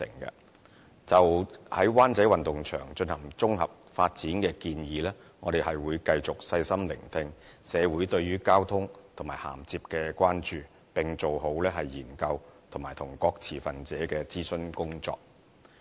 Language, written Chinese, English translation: Cantonese, 就着在灣仔運動場進行綜合發展的建議，我們會繼續細心聆聽社會對於交通和銜接的關注，並做好研究及與各持份者的諮詢工作。, In connection with the proposal to use the Wan Chai Sports Ground for comprehensive development we will continue to listen attentively the concerns of the community over transport and interface issues and duly accomplish our efforts in research and consulting various stakeholders